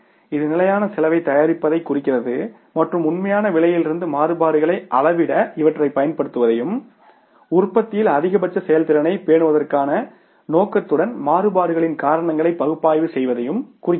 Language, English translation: Tamil, It refers to the preparation of standard cost and applying these two measure the variations from actual cost and analyzing the causes of variations with a view to maintain maximum efficiency in the production